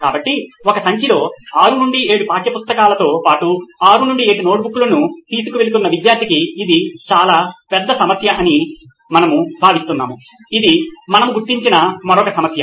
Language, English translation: Telugu, So we feel that is a huge problem there for a student who is carrying like 6 to 7 text books plus 6 to 7 notebooks in one bag that’s another problem we have identified